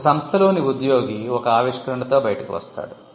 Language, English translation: Telugu, Say, an employee in an organization comes out with an invention